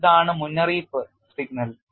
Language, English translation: Malayalam, This is the warning signal